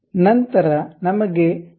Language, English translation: Kannada, Then, we require 0